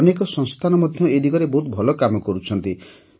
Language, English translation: Odia, Many institutes are also doing very good work in this direction